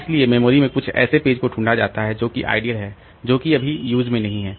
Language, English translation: Hindi, So, find some page in memory but which is ideally that is not really in use